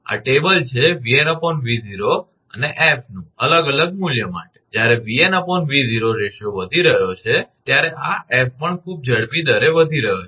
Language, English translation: Gujarati, 0, that means, when V n by V 0 ratio is increasing, this F is also increasing in a very faster rate